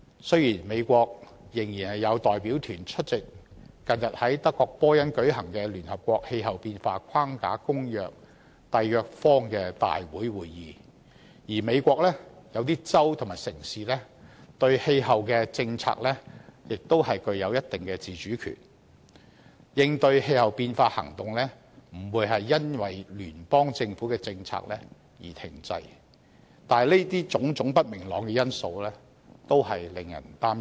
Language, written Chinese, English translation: Cantonese, 雖然美國仍然有代表團出席近日在德國波恩舉行的《聯合國氣候變化框架公約》締約方大會會議，而美國一些州和城市對氣候政策亦具有一定自主權，應對氣候變化行動不會因聯邦政府的政策而停滯，但這些種種不明朗的因素均令人擔憂。, Although the United States deputation still attended the Conference of the Parties under the United Nations Framework Convention on Climate Change held in Bonn recently and some states and cities in the United States enjoy a certain degree of autonomy over their climate policy and their actions to combat climate change will not be stalled by the policy of the Federal Government these uncertainties nevertheless still give cause for concern